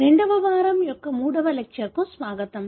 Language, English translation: Telugu, Welcome to the third lecture of second week